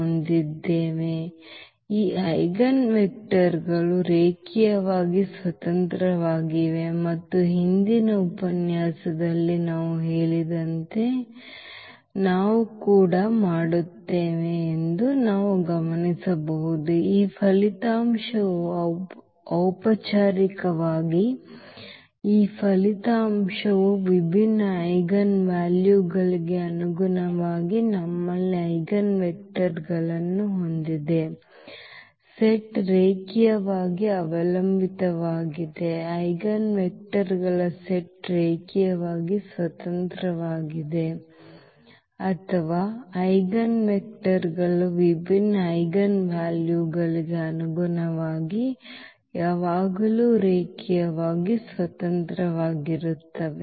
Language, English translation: Kannada, Again we can note that these eigen vectors are linearly independent and as I said in the previous lecture that we will also proof formally this result that corresponding to distinct eigenvalues we have the eigenvectors, the set is linearly dependent the set of eigenvectors is linearly independent or the eigenvectors corresponding to distinct eigenvalues are always linearly independent